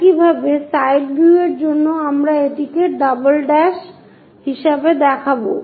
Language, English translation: Bengali, Similarly, for side view any of this we will show it as double’s